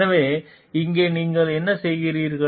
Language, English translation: Tamil, So, here what is you are doing